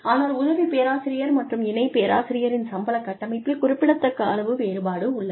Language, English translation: Tamil, But, there is a significant amount of difference, in the salary structure, of an assistant professor, and an associate professor